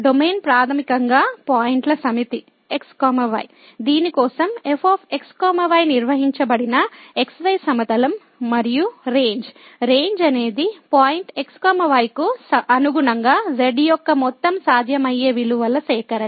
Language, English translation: Telugu, Domain is basically the set of points the x y plane for which is defined and the Range, Range is the collection of overall possible values of corresponding to the point